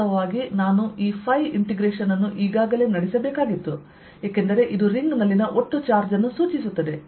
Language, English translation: Kannada, so i actually i should have carried out this phi integration already, because this indicates the total charge on the ring